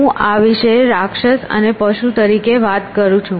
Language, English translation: Gujarati, So, I keep talking about these as a monster and a beast